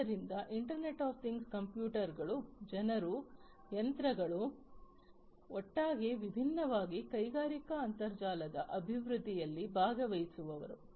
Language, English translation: Kannada, So, internet of things computers, people, machines all together are different participate participants in the development of the industrial internet